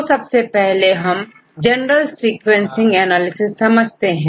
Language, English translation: Hindi, So, in this class we will mainly discuss about the databases